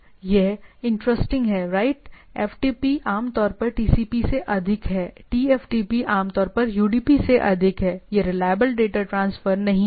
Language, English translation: Hindi, This is interesting right, FTP is typically over TCP, TFTP is typically over UDP, that it is not reliable transfer